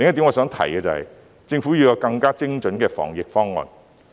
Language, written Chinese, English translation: Cantonese, 我想提的另一點是，政府要有更精準的防疫方案。, The second point I would like to make is that the Government should have a more precise anti - epidemic plan